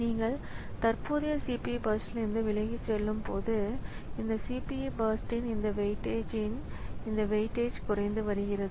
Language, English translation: Tamil, So, as you are going away from the current CPU burst, so the weightage of this weightage of that CPU burst is decreasing